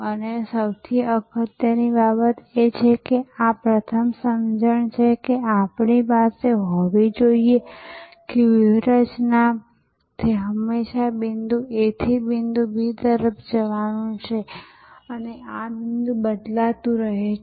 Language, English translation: Gujarati, And most importantly this is the first understanding that we must have that in strategy it is always about going from point A to point B and this point changes, keeps on shifting